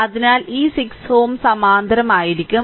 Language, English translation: Malayalam, So, this 6 ohm will be in parallel right